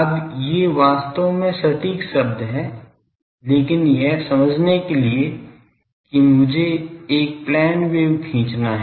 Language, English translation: Hindi, Now, these are actually exact terms, but to understand that let me draw a plane wave